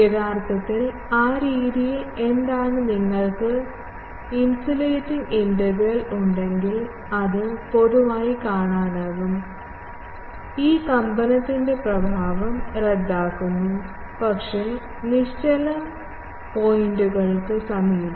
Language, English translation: Malayalam, Actually, in that method what happens that if you have an oscillating integral, you can see that generally, the oscillation, the effect of this oscillation, cancels out, but near the stationary points